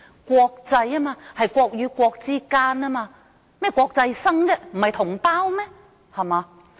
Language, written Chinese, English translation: Cantonese, 國際應該涉及國與國，大陸生為甚麼是國際生，不是同胞嗎？, By international it should involve countries and nations . How come Mainland students are treated as international students? . Are they not compatriots?